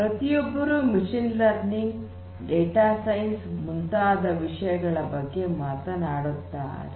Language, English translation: Kannada, So, everybody is talking about machine learning, data science and so on